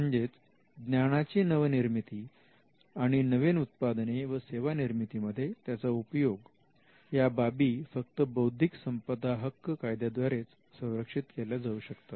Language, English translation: Marathi, So, if new knowledge is created through research and if that new knowledge is applied into the creation of products and services, the only way you can protect them is by intellectual property rights